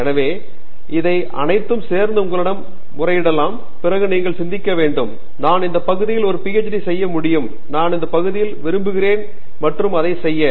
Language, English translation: Tamil, So, all these things together can appeal to you and then you might want to think, ok; I can do a PhD in this area, I like this area and do it